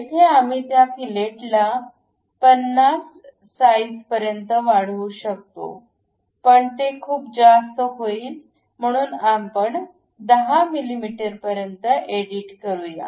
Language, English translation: Marathi, Here we can always increase that fillet size 50; it is too much, so let us edit that feature, maybe make it 10 mm